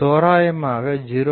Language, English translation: Tamil, So, I can say 0